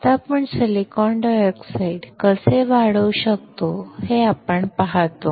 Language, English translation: Marathi, Now, what we see is how we can grow silicon dioxide